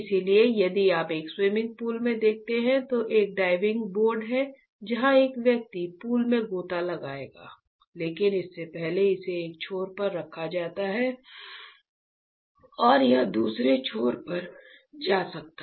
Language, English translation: Hindi, So, if you have seen in a swimming pool, a diving board is where a person will dive into the pool, but before that it is holded at one end and it is it can move at another end